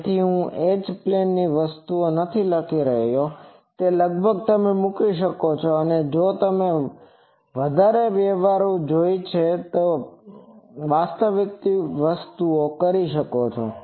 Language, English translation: Gujarati, So, I am not writing H plane things, you can approximately you can put a and if you want more sophisticated thing, do the actual thing